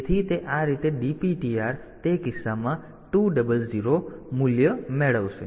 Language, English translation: Gujarati, So, that way this DPTR will get the value 200 in that case